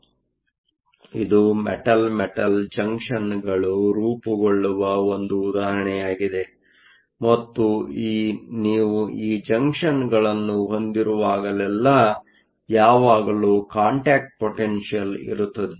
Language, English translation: Kannada, So, this is an example where Metal Metal Junctions are formed and whenever you have these junctions, there always be a contact potential